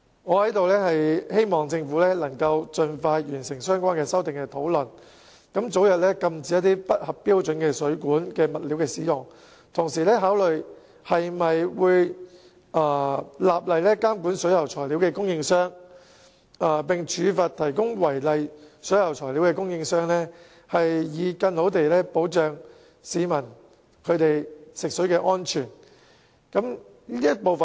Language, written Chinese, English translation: Cantonese, 我在此希望政府能夠盡快就相關修訂完成討論，早日禁止使用不合標準的水管物料，並同時考慮立法監管水管材料供應商，並處罰提供違例水管材料的供應商，藉此為市民的食水安全提供更佳保障。, Here I hope that the Government can expeditiously complete the discussion on the relevant amendments and forbid the use of substandard plumbing materials as early as possible while considering the enactment of legislation to regulate suppliers of plumbing materials and penalize those suppliers who provide unlawful plumbing materials so as to better ensure the safety of drinking water for the people